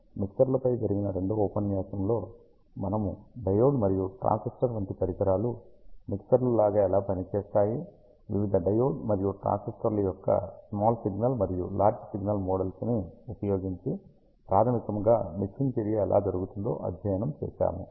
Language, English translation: Telugu, In the second lecture of mixers, we studied how devices like diodes and transistors basically perform as mixes or how fundamentally the mixing action happens using various small signal and large signal models of the diode and the transistor